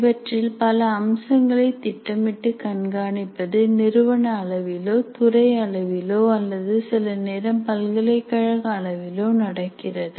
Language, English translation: Tamil, But many aspects of this are planned and monitored at the institution and department level, or sometimes even the university